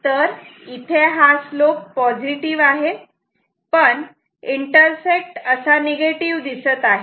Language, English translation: Marathi, So, this slope will be positive, but the intersect will be negative like this ok